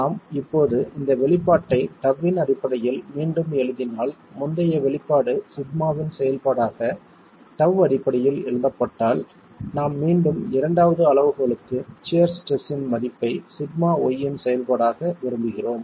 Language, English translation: Tamil, If we now rewrite this expression in terms of tau because the earlier expression was written in terms of tau as a function of sigma y, we again want for the second criterion the value of shear stress as a function of sigma y